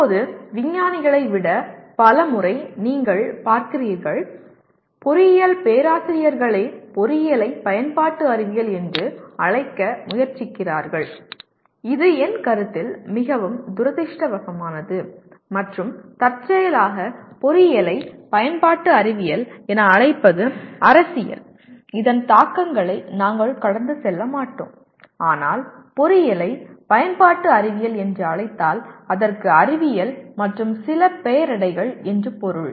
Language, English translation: Tamil, Now, coming to this, many times you see more than scientists, engineering professors themselves trying to call engineering as applied science which in my opinion is very unfortunate and also incidentally calling engineering as applied science has political implications which we will not go through but if you call engineering is applied science that means it is science with some adjective added to that